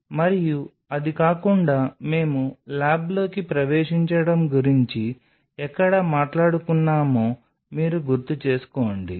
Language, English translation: Telugu, And apart from it if you remember where we talked about entering into inside the lab